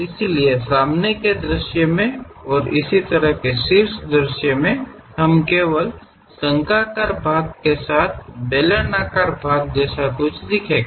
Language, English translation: Hindi, So, from front view, top view we just see something like a cylindrical portions with conical portion and so on